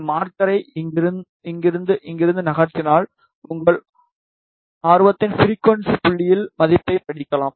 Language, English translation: Tamil, Just move this marker from here to here, you can read the value at the frequency point of your interest ok